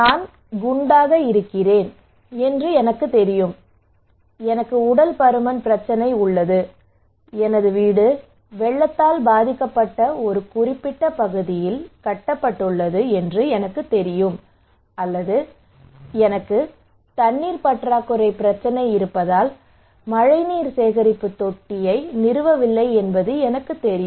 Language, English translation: Tamil, So I know I am fat, I have obesity problem, I know my house is built in a particular area that is flood prone or I know that I did not install the rainwater harvesting tank because I have water scarcity problem, but still I did not do it